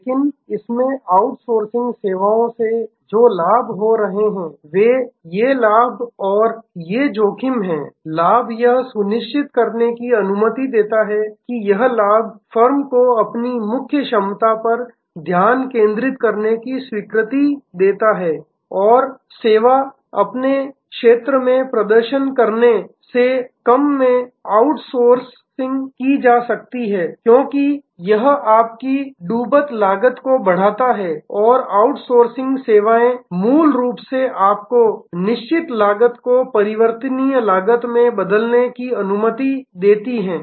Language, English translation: Hindi, But, in that the advantages that are coming from outsourcing services are these benefits and these risks; the benefits are allows the firm to focus on it is core competence and service is cheaper to outsource than perform in house, because that raises your sunk cost and outsourcing services fundamentally allows you to convert fixed cost to variable cost